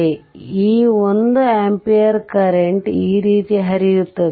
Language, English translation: Kannada, So, this 1 ampere current will be flowing like this